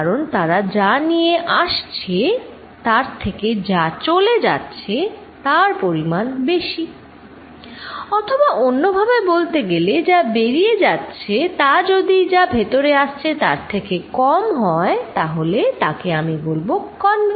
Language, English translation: Bengali, Because, they take away much more than they are bringing in or the other hand, if fluid going out is less then fluid coming in I will say this convergent